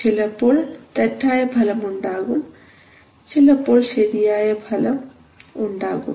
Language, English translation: Malayalam, Sometimes it may give you wrong results sometimes in may not